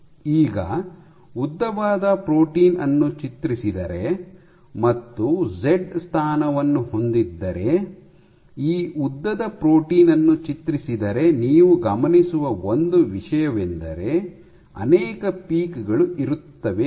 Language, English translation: Kannada, Now, if you pull this long of protein, and you have a z position, if you pull this long of protein one thing that you observe, one thing that you observe is you will get these multiple peaks